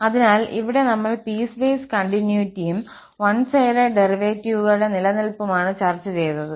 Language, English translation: Malayalam, And just to conclude, now here, we have discussed that piecewise continuity and existence of one sided derivatives